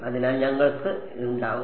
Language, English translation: Malayalam, So, we will make this to be